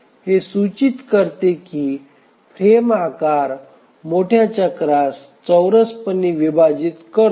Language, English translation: Marathi, So, this indicates that the frame size squarely divides the major cycle